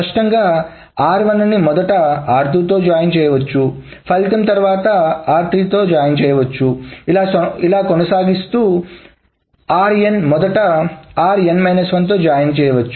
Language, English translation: Telugu, Clearly R1 can be first joined with R2, the result can be then joined with R3 and so on so forth, or RN can be first joined with RN minus 1 and that can be joined with RN minus 2 and so forth